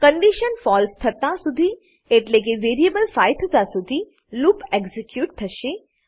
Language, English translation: Gujarati, The loop will get executed till the condition becomes false that is when variable i becomes 5